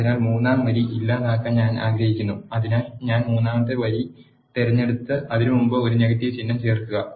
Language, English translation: Malayalam, So, I want to delete third row so I chose the third row and insert a negative symbol before it